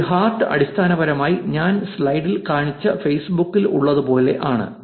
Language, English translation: Malayalam, A heart is basically the one that I showed you in the slide, like the like in facebook